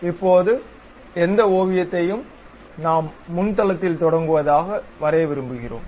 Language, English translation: Tamil, Now, any sketch we would like to draw that we begin it on front plane